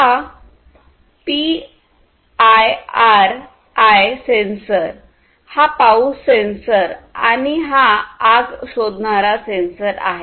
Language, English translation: Marathi, This is PIR sensor, this is rain detector sensor, and this is fire detector sensor